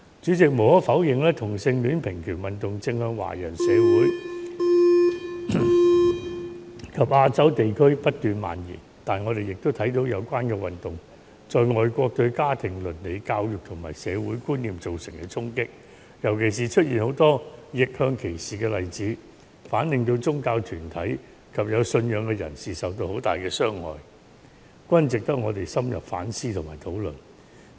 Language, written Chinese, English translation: Cantonese, 主席，無可否認，同性戀平權運動正向華人社會及亞洲地區不斷蔓延，但我也看到有關運動在外國對家庭倫理、教育及社會觀念造成的衝擊，尤其是出現許多逆向歧視的例子，反令到宗教團體及有信仰的人士受到很大的傷害，值得我們深入反思和討論。, President it is undeniable that the homosexual rights movement is spreading across Chinese communities and Asian countries . I can also see the impact of the movement on family ethics education and social values in overseas countries especially the occurrence of many cases of reverse discrimination which has greatly hurt religious groups and people who have religious belief . This is worthy of our self - reflection and discussion